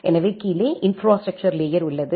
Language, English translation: Tamil, So, we have the infrastructure layer at the bottom